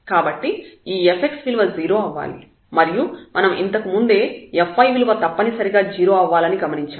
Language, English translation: Telugu, So, this f x must be equal to 0 earlier we have observed that f y must be equal to 0